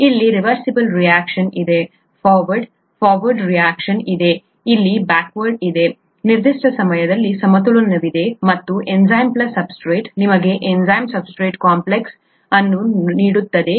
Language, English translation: Kannada, There is a reversible reaction here, forward, there is a forward reaction here, there is a backward reaction here, there is an equilibrium at certain time and enzyme plus substrate gives you the enzyme substrate complex